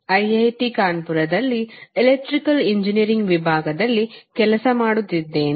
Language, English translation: Kannada, I am working with department of electrical engineering at IIT Kanpur